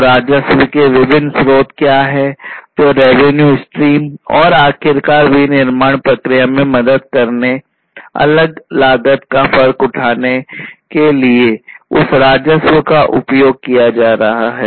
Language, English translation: Hindi, So, what are the different sources of the revenues that is the revenue stream and finally, that revenue is going to be used in order to help in the manufacturing process; incurring the different costs